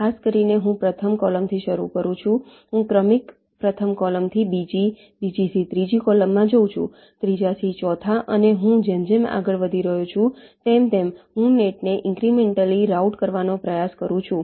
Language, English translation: Gujarati, i look at the problem incrementally, specifically, i start from the first column, i go on moving to successive column, first to second, second to third, third to fourth, and i incrementally try to route the nets as i move along greedy means